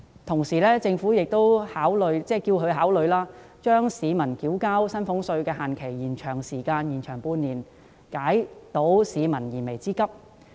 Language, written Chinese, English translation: Cantonese, 此外，我亦希望政府考慮延長市民繳交薪俸稅的限期半年，以解市民的燃眉之急。, Also I hope that the Government will consider extending the deadline for salaries tax payment so that people can address their urgent needs first